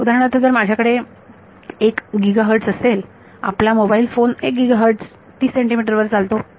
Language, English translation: Marathi, So, for example, if I have a 1 gigahertz your mobile phone works at 1 gigahertz 30 centimeters